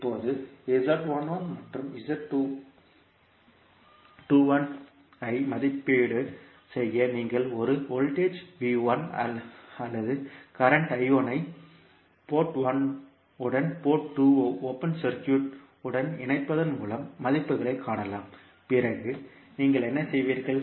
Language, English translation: Tamil, Now to evaluate Z11 and Z21 you can find the values by connecting a voltage V1 or I1 to port 1 with port 2 open circuited, then what you will do